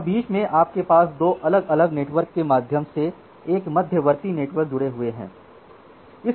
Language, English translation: Hindi, And in between you have an intermediate network through 2 different networks they are say connected OK